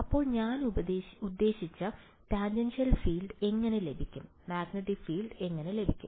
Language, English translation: Malayalam, So, how do I get the tangential field I mean, how do I get the magnetic field